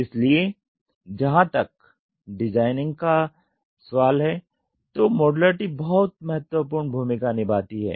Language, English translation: Hindi, So, modularity plays a very very important role as far as designing is concerned